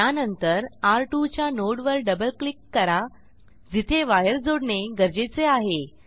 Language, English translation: Marathi, Then we will double click on node of R2 where wire needs to be connected